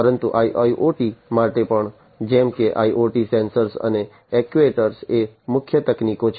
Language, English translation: Gujarati, But for IIoT as well, like IoT sensors and actuators are the core technologies